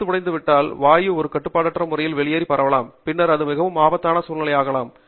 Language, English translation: Tamil, If the neck breaks, the gas can come out in an uncontrolled manner, and then, itÕs a very dangerous situation